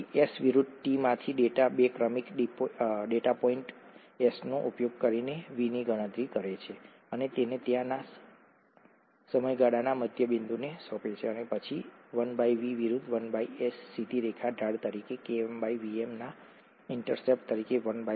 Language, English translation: Gujarati, So from S versus t data calculate V using two successive datapoints S, of S and assign it to the midpoint of the time interval there and then 1 by V versus 1 by S, straight line, Km by Vm as a slope and 1 by Vm as the intercept